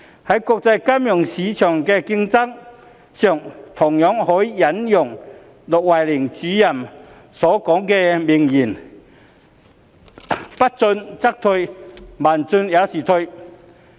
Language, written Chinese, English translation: Cantonese, 在國際金融市場的競爭上，同樣可以引用駱惠寧主任所說的名言："不進則退，慢進也是退。, The famous remarks by Director LUO Huining can also be applied to the competition in the international financial market If you do not advance you will retreat so do you advance slowly